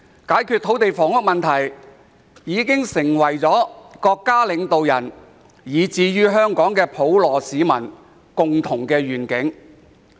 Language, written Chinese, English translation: Cantonese, 解決土地房屋問題已經成為國家領導人，以至香港普羅市民的共同願景。, Solving the land and housing problem has become the common vision of the national leaders and the community of Hong Kong at large